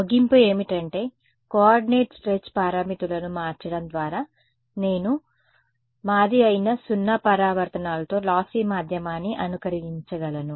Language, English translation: Telugu, Conclusion was that just by changing the coordinate stretch parameters I can mimic a lossy medium with 0 reflections that was our